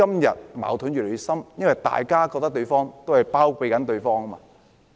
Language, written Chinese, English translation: Cantonese, 因為大家都覺得對方在包庇己方。, It is because each side thinks that the other side is shielding its supporters